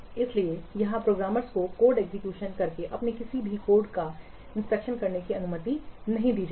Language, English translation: Hindi, So here programmers will not be allowed to test any of their code by executing the code